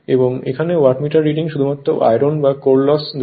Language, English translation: Bengali, And here, Wattmeter reading gives only iron or core loss